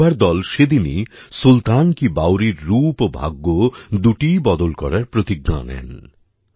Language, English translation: Bengali, At that very moment these youths resolved to change the picture and destiny of Sultan Ki Baoli